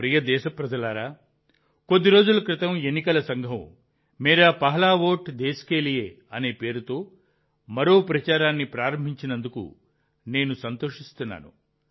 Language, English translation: Telugu, My dear countrymen, I am happy that just a few days ago the Election Commission has started another campaign 'Mera Pehla Vote Desh Ke Liye'